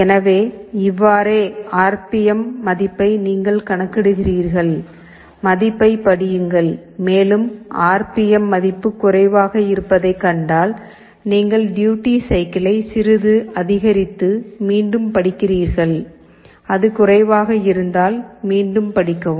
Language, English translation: Tamil, So, in this way you calculate, read the value, and if you find that the RPM value is lower, you increase the duty cycle a little bit and again read; if it is lower you again read